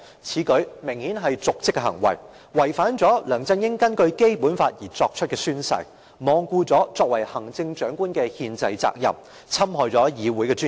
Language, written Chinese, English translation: Cantonese, 此舉明顯是瀆職行為，違反了梁振英根據《基本法》作出的宣誓，罔顧行政長官的憲制責任，侵害議會的尊嚴。, Such conduct of LEUNG Chun - ying is obviously in dereliction of duty in violation of the oath he took under the Basic Law and in defiance of his constitutional duty as the Chief Executive and it also harms the dignity of this Council